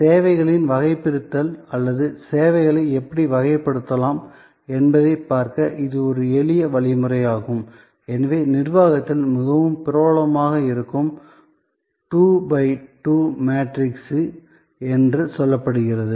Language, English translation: Tamil, This is a simple way of looking at the taxonomy of services or how services can be classified, so it is say 2 by 2 matrix, which is very popular in management